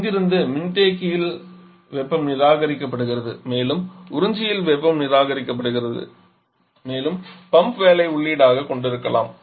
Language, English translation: Tamil, From here heat is being rejected in the condenser and also heat is being rejected in the observer plus we are having the pump work as the input